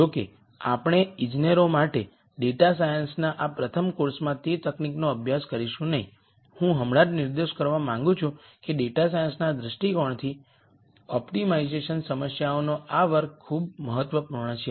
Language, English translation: Gujarati, Though we will not study that technique in this first course on data science for engineers, I just wanted to point out that this class of optimization problems is very important from a data science viewpoint